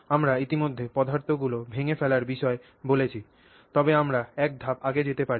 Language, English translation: Bengali, So, we already spoke about breaking materials down, but we can go one step earlier than that